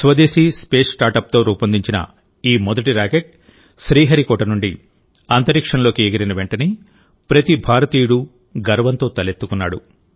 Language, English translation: Telugu, As soon as this first rocket of the indigenous Space Startup made a historic flight from Sriharikota, the heart of every Indian swelled with pride